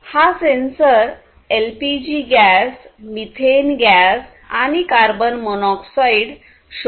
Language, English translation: Marathi, This is a gas sensor for detecting LPG gas, methane, carbon monoxide and so on